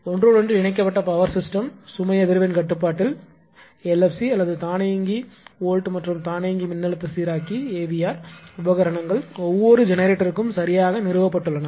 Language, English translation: Tamil, So, in an interconnected power system load frequency control that is you can short you call LFC or automatic volt and automatic voltage regulator we call AVR equipment are installed for each generator right